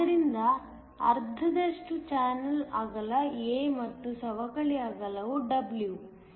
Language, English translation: Kannada, So, half the channel width is a and the depletion width is W